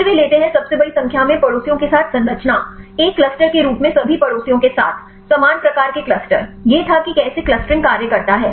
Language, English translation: Hindi, Then they take the structure with largest number of neighbours; with all the neighbors as a cluster, similar type of cluster; this were the how the clustering works